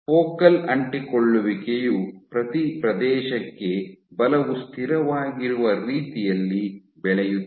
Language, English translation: Kannada, So, focal adhesion will grow in a way that force per area is constant